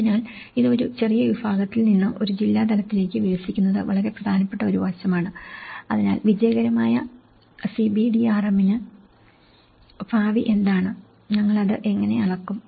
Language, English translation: Malayalam, So, this is branching out from a small segment to a district level is a very important aspect, so what are the futures of the successful CBDRM, how do we measure it